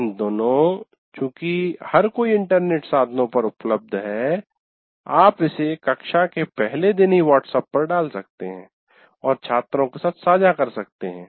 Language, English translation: Hindi, These days as everybody is accessible on internet devices, you can put this up and share with the students in WhatsApp right on the first day of the class